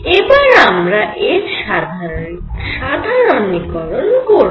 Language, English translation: Bengali, We are going to now generalized this